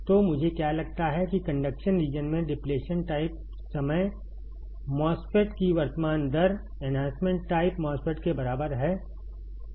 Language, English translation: Hindi, So, what I find is that the in the conduction region, the current rate of a depletion time MOSFET is equal to the enhancement type MOSFET